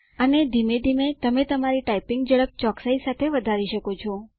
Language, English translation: Gujarati, And gradually increase your typing speed and along with it your accuracy